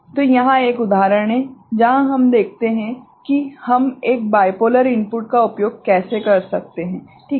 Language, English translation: Hindi, So, here is an example where we see that how we can use a bipolar input ok